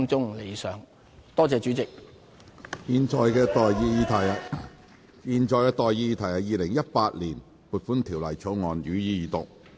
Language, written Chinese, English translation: Cantonese, 我現在向各位提出的待議議題是：《2018年撥款條例草案》，予以二讀。, I now propose the question to you and that is That the Appropriation Bill 2018 be read the Second time